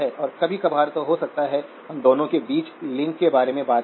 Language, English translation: Hindi, And may be occasionally, we talk about the link between the two